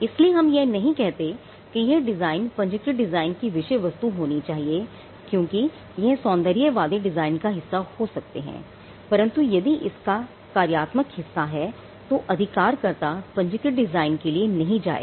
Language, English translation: Hindi, So, we do not say such design should be the subject matter of a registered design because, they could be an aesthetic part to it, but if there is a functional part right holder will not go for a registered design